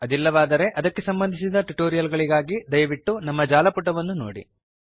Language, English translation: Kannada, If not, for relevant tutorials, please visit our website, http://spoken tutorial.org